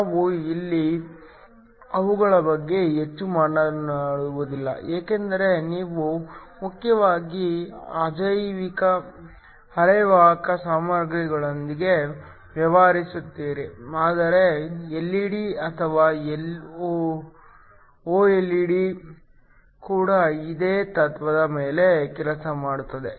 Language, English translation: Kannada, We will not talk much about them here because you mainly deal with inorganic semiconductor materials, but LED's or OLED's also work on a similar principle